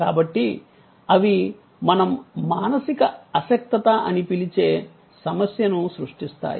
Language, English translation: Telugu, So, therefore, they create a problem what we call mental impalpability